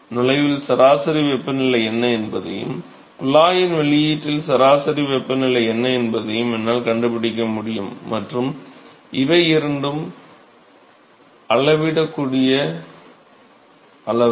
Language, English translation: Tamil, I can now find out what is the average temperature at the inlet, I can find out what is the average temperature at the outlet of the tube and these two are measurable quantities and